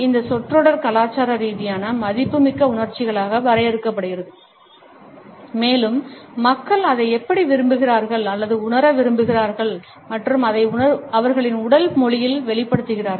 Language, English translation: Tamil, This phrase is defined as culturally valued emotions and how people want or learn to feel it and express it in their body language